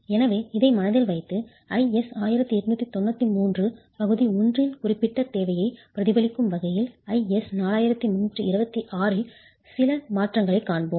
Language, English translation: Tamil, So, keep this in mind and we will see some modifications to IS 4326 to reflect this particular requirement of IS 89 to 3